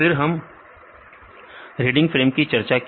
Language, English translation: Hindi, Then we discussed about this reading frames